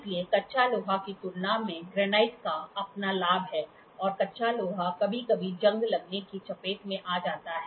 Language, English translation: Hindi, So, granite has its own advantage as compared to cast iron and the cast iron will is sometimes vulnerable to rusting